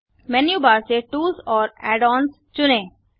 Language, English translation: Hindi, From the menu bar click tools and set up sync